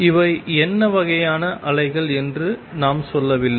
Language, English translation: Tamil, What we have not said what kind of waves these are